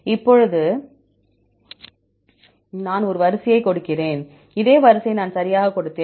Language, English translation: Tamil, Now, I give a sequence; the same sequence I gave right